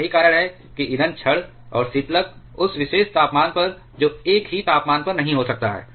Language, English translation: Hindi, And that is why the fuel rod and the coolant may not be at the same temperature at that particular instant